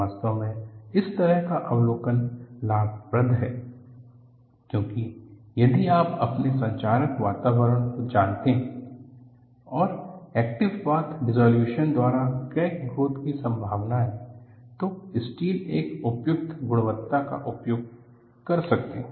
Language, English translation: Hindi, In fact, an observation like this, is advantageous; because if you know your corrosive environment, there is a possibility of crack growth by active path dissolution, then use an appropriate quality of steel